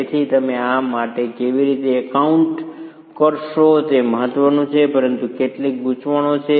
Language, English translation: Gujarati, So how do you account for this is important but there are some complications